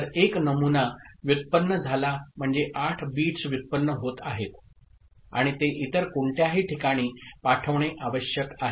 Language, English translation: Marathi, So, that is generated one sample means 8 bits are getting generated and it needs to be transmitted to some other place